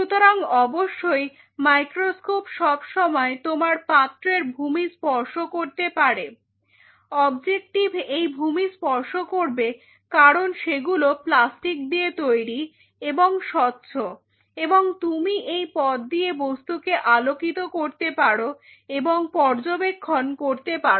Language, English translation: Bengali, So obviously, the microscope can always touch the base of this vessel, it wants microscope objective can touch the base of those vessel because it is plastic right and it is transparent, and you can shine the light through this path and you can visualize it